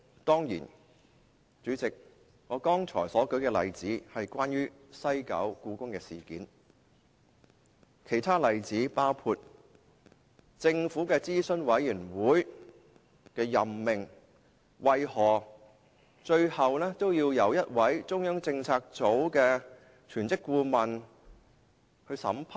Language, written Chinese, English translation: Cantonese, 當然，主席，我剛才所舉的例子是關於西九故宮館事件，其他例子包括政府轄下諮詢委員會的任命何以最後會由中央政策組的一位全職顧問審批。, President the example I cited earlier on is about the incident involving HKPM at WKCD . There are other examples including the appointment of members to advisory boards under the Government which had to be vetted and approved by a full - time adviser of the Central Policy Unit CPU